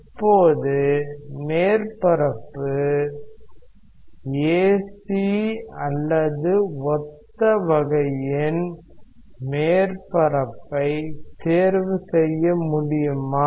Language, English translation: Tamil, Now, could we choose a surface ac or surface of similar type such that there is no flow across it